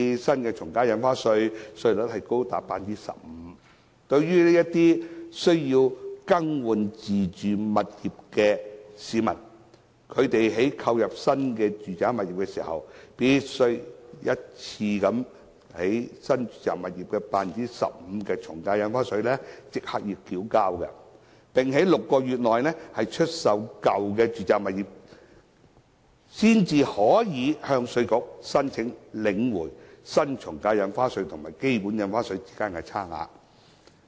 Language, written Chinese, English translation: Cantonese, 新的從價印花稅的稅率高達 15%， 一些需要更換自住物業的市民在購入新的住宅物業時，必須一次性繳交 15% 的從價印花稅，並在6個月內出售舊有住宅物業，才可以向稅局申請領回新從價印花稅及基本印花稅之間的差額。, Given that the new AVD rate is as high as 15 % people who need to replace their owner - occupied properties must pay one - off AVD at a rate of 15 % for the purchase of new properties . They can only apply to IRD for refund of the amount paid at the new AVD rate in excess of that computed at basic AVD rate if their original residential properties have been disposed of within six months